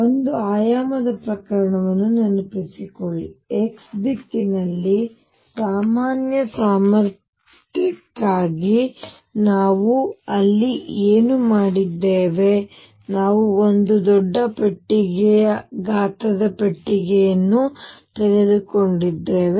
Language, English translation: Kannada, Recall the one dimensional cases, what we have done there for a general potential in x direction, we had taken a box which was a huge box of size l